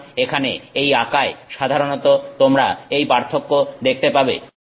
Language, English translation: Bengali, So, typically this difference that you are seeing in this plot here